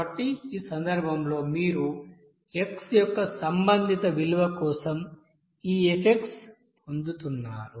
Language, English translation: Telugu, So in this case you are getting this f for this corresponding value of x here